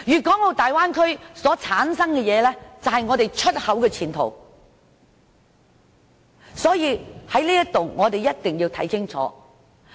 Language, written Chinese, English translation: Cantonese, 大灣區所生產的東西，是我們出口的前途，在此我一定要說清楚。, The products from the Bay Area are the future of Hong Kongs export business . I must make it clear here